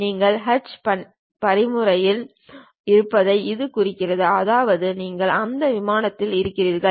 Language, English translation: Tamil, That indicates that you are in Sketch mode; that means, you are on that plane